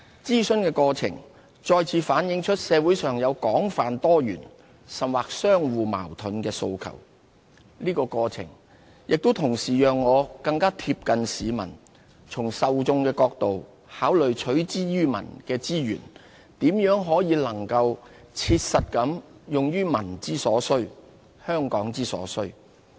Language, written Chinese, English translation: Cantonese, 諮詢的過程再次反映出社會上有廣泛多元，甚或相互矛盾的訴求，同時也讓我更貼近市民，從受眾的角度考慮取之於民的資源，如何能切實地用於民之所需、香港之所需。, Budget consultation has revealed once again the wide - ranging diverse and even conflicting demands within the community . At the same time it has brought me closer to the public enabling me to see things from the perspective of the people whom I serve so that I could consider how best to use the resources pooled from them to meet their needs and those of Hong Kong